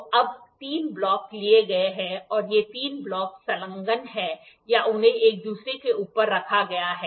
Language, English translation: Hindi, So, now, 3 blocks are taken and these 3 blocks they are attached or they are placed one above each other